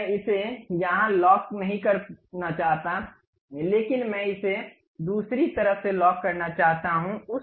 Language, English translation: Hindi, Now, I do not want to really lock it here, but I want to lock it on the other side